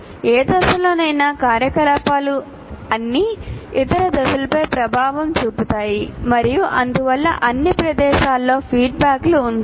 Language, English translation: Telugu, Activities any phase have impact on all other phases and hence the presence of feedbacks at all places